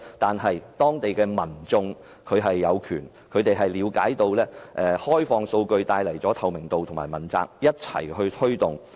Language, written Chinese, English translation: Cantonese, 但是，當地民眾了解到開放數據會帶來透明度和問責，因此一起推動及要求開放數據。, However the public there understood that opening up data would bring transparency and accountability so they worked towards and demanded the opening up of data together